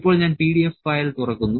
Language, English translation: Malayalam, So, now I am opening the PDF file